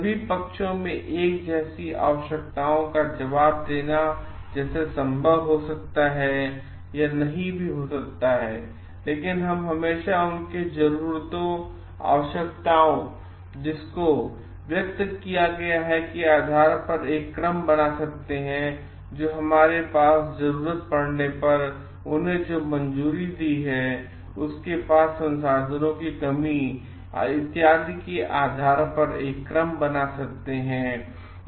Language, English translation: Hindi, It may or may not be possible to answer to the needs in a similar way to of all the parties, but we can always do a rank ordering in terms of based on their expressed needs and what they have approved then the resources of the constraints that, we have we can do it in a rank ordering needed